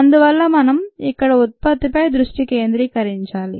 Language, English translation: Telugu, so let us concentrate on the product here